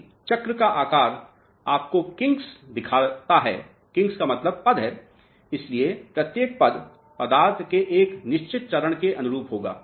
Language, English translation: Hindi, So, if the shape of the circle shows you kings: kings means steps, so each step will correspond to a certain phase of the material